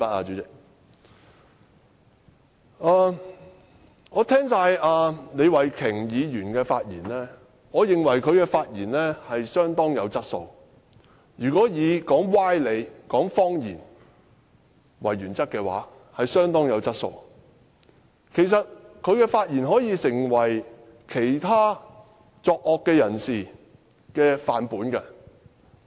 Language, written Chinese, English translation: Cantonese, 聽畢李慧琼議員的發言，我認為她的發言相當有質素——如果以說歪理和謊言為原則，她的發言相當有質素，甚至可以成為其他作惡之人的範本。, End of quote . Having heard Ms Starry LEEs speech I think she has made an excellent speech that is if the standard is set on the basis of sophistry and lies . In that case her speech is indeed excellent and can almost be regarded as a textbook example for all villains